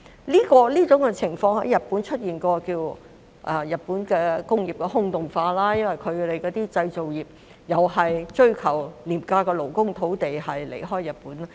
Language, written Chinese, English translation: Cantonese, 這種情況曾在日本出現，被稱為日本工業的"空洞化"，因為其製造業同樣追求廉價勞工和土地，遷離了日本。, Such a situation was once seen in Japan . It was called the hollowing out of Japanese industries since its manufacturing industry had similarly moved out from Japan in the quest for cheap labour and land